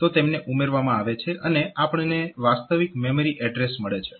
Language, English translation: Gujarati, So, they will be summed up and we will get the actual memory address